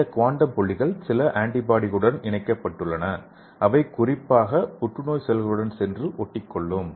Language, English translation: Tamil, So here you can see that the quantum dots are attached with some antibodies which is specifically go and bind into the cancer cell